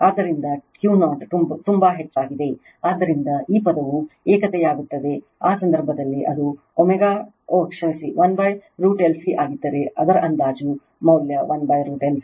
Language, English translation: Kannada, So, this one after Q 0 is very high, so this term will become unity, in that case if it is omega upon oh sorry 1 upon root over L C, so that is your approximate value 1 upon root over L C